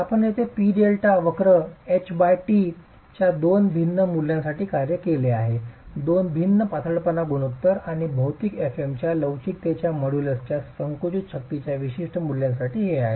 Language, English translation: Marathi, So, the P delta curve that you see here, it's been worked out for two different values of H by T, two different slendinous ratio, and for specific values of compressive strength of the material, fM, and modellus of elasticity